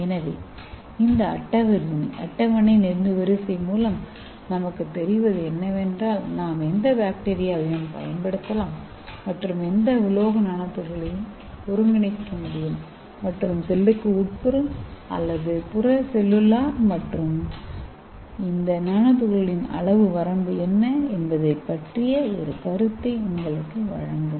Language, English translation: Tamil, So this tabular column will give you idea which bacteria we can use and which metal nano particle can be synthesized weather it is intracellular and extra cellular and what is the size range of this nano particles